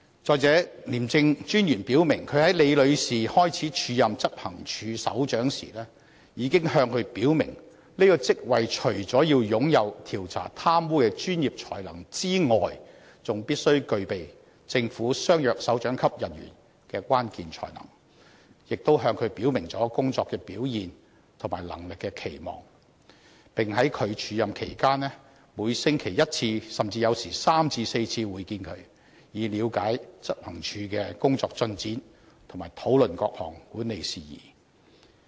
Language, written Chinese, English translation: Cantonese, 再者，廉政專員表明，他在李女士開始署任執行處首長前，已經向她表明這個職位除了要擁有調查貪污的專業才能外，還必須具備政府相若首長級人員的關鍵才能，亦表明對她的工作表現和能力的期望，並在她署任期間，"每星期一次，甚至有時3至4次會見她，以了解執行處的工作進展，並討論各項管理事宜。, Moreover according to the ICAC Commissioner before Ms LI started to act as Head of Operations he already told her clearly that apart from professional competence in corruption investigation the post also required other important skills demanded of directorate - equivalent officials in the Government . He also expressly talked about his expectations regarding her work performance and competence . And during her acting period he also met with her once a week or sometimes even three to four times a week in a bid to understand the work progress of the Operations Department and discuss with her various management issues